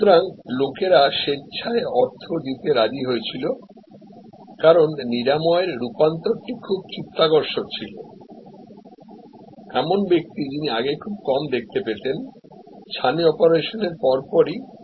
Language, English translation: Bengali, So, people were willingly to pay, because the curative transformation was very impressive, a person who could hardly see because of the cataract coverage could see almost immediately after the operation